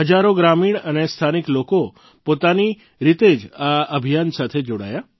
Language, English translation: Gujarati, Thousands of villagers and local people spontaneously volunteered to join this campaign